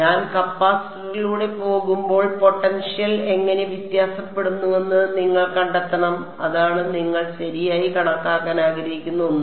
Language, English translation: Malayalam, And you want to find out how does the potential vary as I go from go through the capacitor, that is that is one something that you might want to calculate right